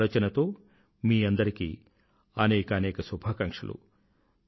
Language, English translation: Telugu, With these feelings, I extend my best wishes to you all